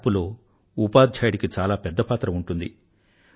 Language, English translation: Telugu, The teacher plays a vital role in transformation